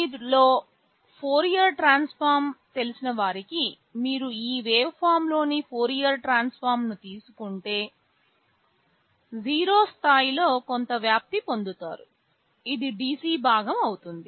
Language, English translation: Telugu, For those of you who know Fourier transform, if you take the Fourier transform of this waveform you will get some amplitude at 0 level that will be the DC component